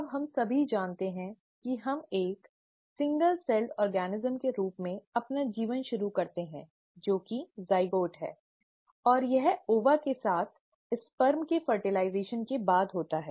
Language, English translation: Hindi, Now we all know that we start our life as a single celled organism that is the zygote and this happens after the fertilization of sperm with the ova